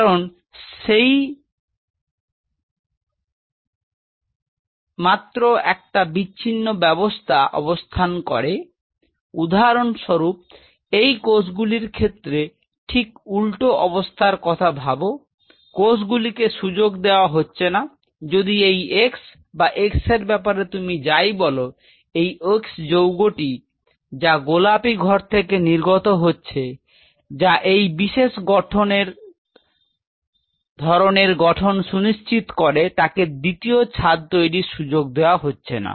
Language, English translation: Bengali, Because once there in isolation say for example, these cells just talk about a reverse situation, these cells are not allowed if this x whatever you talking about this x thing, this x compound is secreted by this pink house to ensure that if this does not form this kind of a structure, is not allowed to from this second roof